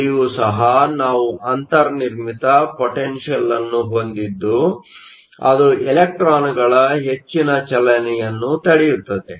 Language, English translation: Kannada, So, there also we had a built in potential that prevents further motion of electrons